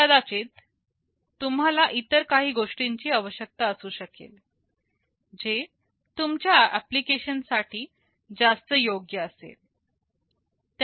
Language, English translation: Marathi, You may require something else, which will be best suited for your application